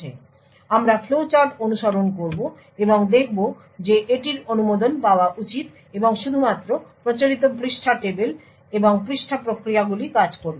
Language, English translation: Bengali, So, we will follow the flowchart and see that this should be permitted and only the traditional page tables and page mechanisms would work